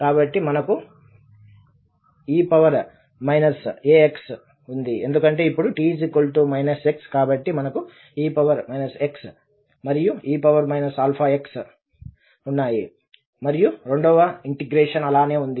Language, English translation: Telugu, So, e power minus a, so because now t is minus x so a power minus x and e power minus i alpha x dx, and the second integral as it is